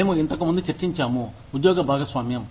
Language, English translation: Telugu, We have discussed, job sharing, earlier